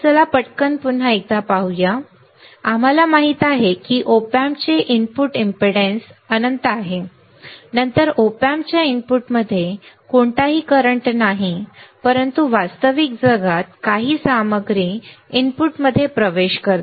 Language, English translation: Marathi, Let us quickly once again see ideally we know that input impedance of op amp is infinite right, then there is no current end entering in the input of the op amp, but in the real world some content does enter the inputs